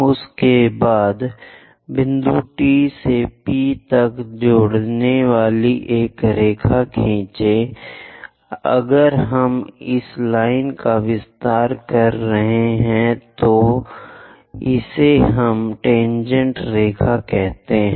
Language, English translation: Hindi, After that draw a line connecting from point T all the way to P; if we are extending this line, this is what we call tangent line